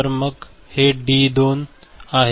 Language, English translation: Marathi, So, then say D2 this is there